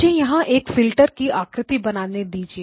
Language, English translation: Hindi, Let me just draw the filter here